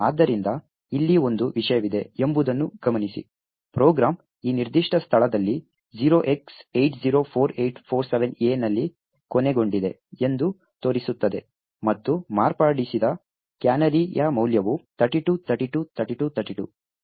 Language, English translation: Kannada, So, note that there is one thing over here it shows that the program has terminated at this particular location 0x804847A and the value of the canary which has been modified was 32, 32, 32, 32